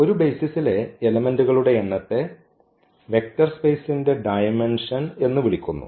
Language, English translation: Malayalam, So now, the dimension so, the number of elements in a basis is called the dimension of the vector space